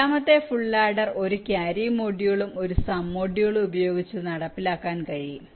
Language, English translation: Malayalam, the second full order can also be implemented by a carry module and a sum module, and so on